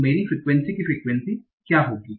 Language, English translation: Hindi, So what will my frequency of frequency